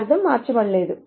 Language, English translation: Telugu, The meaning is not changed